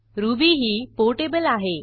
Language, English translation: Marathi, Ruby is highly portable